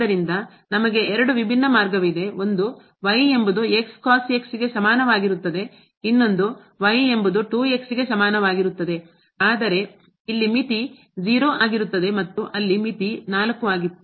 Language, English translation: Kannada, So, we have 2 different path one is is equal to another one is is equal to 2 here the limit is 0 there the limit was 4